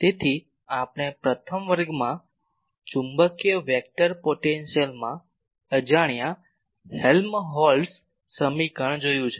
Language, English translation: Gujarati, So, we have seen the inhomogeneous Helmholtz equation in magnetic vector potential in the first class